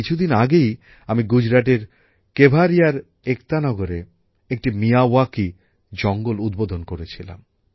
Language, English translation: Bengali, Some time ago, I had inaugurated a Miyawaki forest in Kevadia, Ekta Nagar in Gujarat